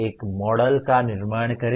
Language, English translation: Hindi, Construct a model